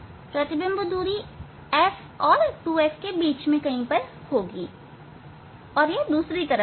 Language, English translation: Hindi, image distance will be within if f and 2 f this is the other side